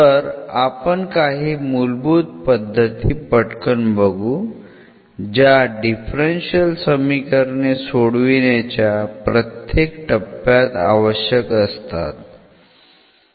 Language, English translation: Marathi, So, we will quickly review some of the techniques which are very fundamental of basics and they are required at a every stage for solving the differential equations